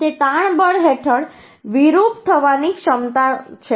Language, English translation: Gujarati, It is a ability to deform under tensile force